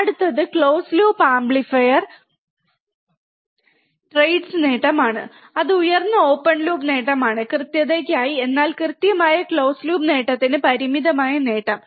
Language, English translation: Malayalam, Next is close loop amplifier trades gain that is high open loop gain, for accuracy, but finite gain for accurate close loop gain